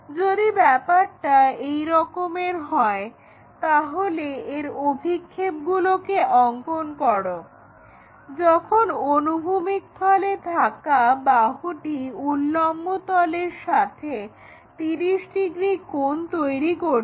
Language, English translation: Bengali, If that is a case draw its projections when this side in HP makes 30 degree angle with vertical plane